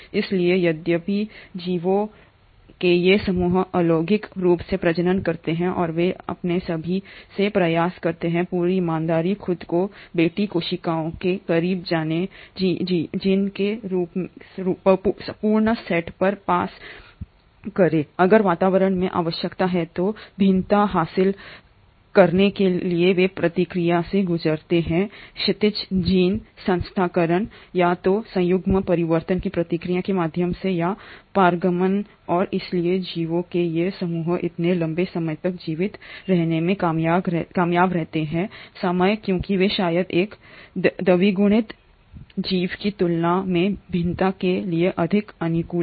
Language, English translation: Hindi, So although these group of organisms reproduce asexually and they try to, in their all complete honesty, pass on the complete set of genes as close to themselves the daughter cells, if there is a need in the environment to acquire variation they do undergo the process of horizontal gene transfer, either through the process of conjugation, transformation or transduction and hence these group of organisms have managed to survive for such a long time because they are far more amiable to variations than probably a diploid organism